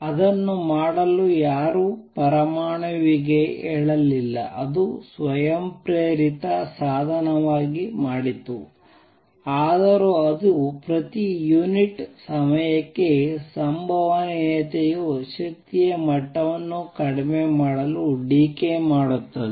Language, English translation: Kannada, Nobody told the atom to do it, it did it a spontaneously spontaneous means by itself it just though the probability per unit time that decay to lower energy level and it did